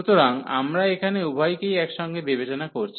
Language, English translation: Bengali, So, we considering both together here